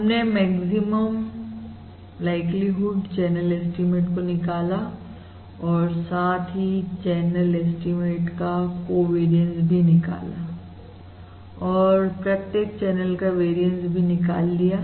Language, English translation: Hindi, We have derived the maximum likelihood channel estimate and leave also derived the covariance of the channel estimate and the variances of the individual channel coefficient